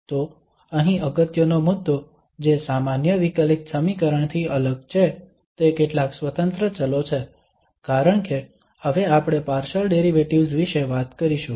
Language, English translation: Gujarati, So here the important point which differs from the ordinary differential equation is to have several independent variables because now we will be talking about the partial derivatives